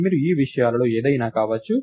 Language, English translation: Telugu, You could be of any of these things